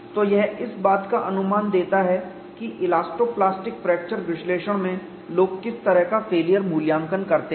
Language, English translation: Hindi, So, this gives a flavor of what is the kind of failure assessment that people do in elasto plastic fracture mechanics analysis